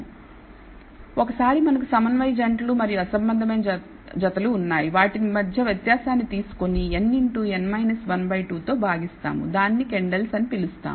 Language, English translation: Telugu, So, once we have the number of concordant pairs and number of discordant pairs we take the difference between them divide by n into n minus 1 by 2 and that is called the Kendall’s tau